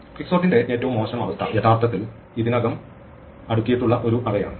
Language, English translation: Malayalam, The worst case of quicksort is actually an already sorted array